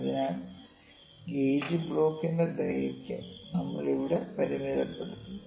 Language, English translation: Malayalam, So, we are limited by the length of the gauge block here